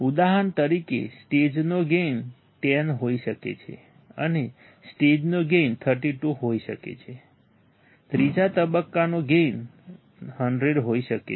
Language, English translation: Gujarati, For example, gain of the stage may be 10 and gain of stage may be 32, the gain of third stage may be 100 right